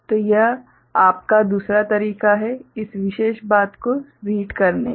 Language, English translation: Hindi, So, this is the other way of you know, reading this particular thing